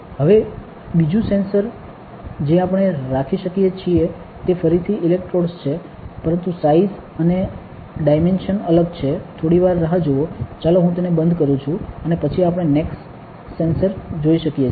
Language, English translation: Gujarati, Now, another sensor that we can have is again electrodes, but the size and dimensions are different, just wait a second, let me close this up and then we can see the next sensor